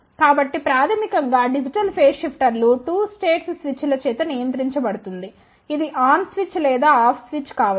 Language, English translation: Telugu, So, basically digital phase shifter is controlled by two states of switches it can be on switch or off switch